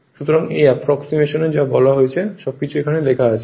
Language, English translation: Bengali, So, this approximation everything what I said it is written here right everything is written here